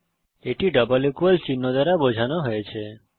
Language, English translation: Bengali, It is denoted by double equal (==) signs